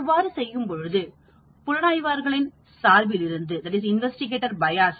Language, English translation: Tamil, That way we will get rid of the investigator’s bias